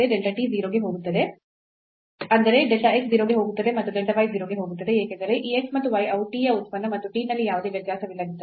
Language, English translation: Kannada, So, delta t goes to 0 means delta x goes to 0 and delta y goes to 0 because this x and y they are functions of function of t and if there is no variation in t